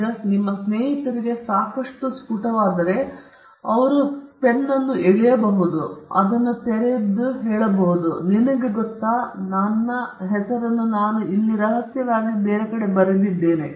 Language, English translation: Kannada, Now, if your friend is smart enough, he could just pull up his pen, just open it up and say, you know, I had written my name somewhere discretely